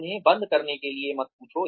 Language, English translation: Hindi, Do not ask them, to shut up